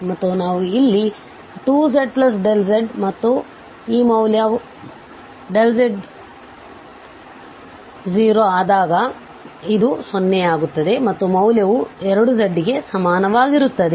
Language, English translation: Kannada, And we have here 2z plus this delta z and this value and delta z approaches to 0, so this will go to 0 and we have this value equal to 2 z